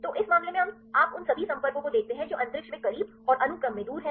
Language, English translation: Hindi, So, in this case you see all the contacts which are close in space right and far in sequence